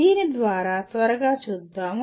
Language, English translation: Telugu, Let us quickly go through this